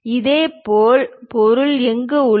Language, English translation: Tamil, Similarly, material is present there